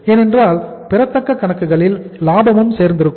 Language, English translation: Tamil, Because accounts receivables include the profit also